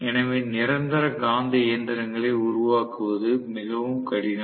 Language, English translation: Tamil, So we are really finding it difficult to construct permanent magnet machine